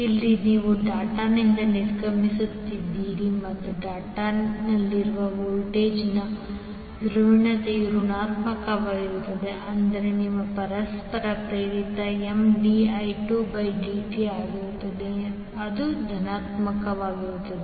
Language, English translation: Kannada, Since here you are exiting the dot and the polarity of the voltage at the dot is negative it means that your mutual induced would be M dI by dI 2 by dt which is positive